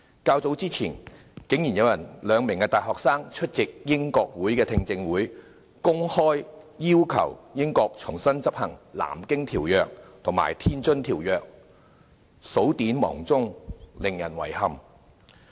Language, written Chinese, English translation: Cantonese, 較早前，竟然有兩名大學生出席英國國會聽證會，公開要求英國重新執行《南京條約》及《天津條約》，數典忘祖，令人遺憾。, Earlier two university students went so far as to attend a hearing at the British Parliament appealing publicly the British Government to re - enforce the Treaty of Nanjing and the Treaty of Tianjin . It is deplorable that these young people have forgotten their own origins